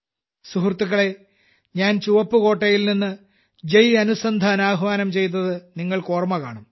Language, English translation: Malayalam, Friends, you may remember, I had called for 'Jai Anusandhan' from the Red Fort